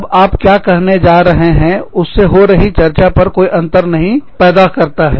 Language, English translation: Hindi, When, what you are going to say, will not make any difference, to the discussion, that is going on